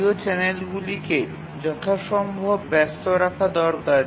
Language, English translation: Bengali, O channels need to be kept busy as possible